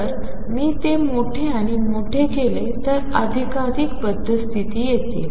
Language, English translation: Marathi, If I make it larger and larger more and more bound states will come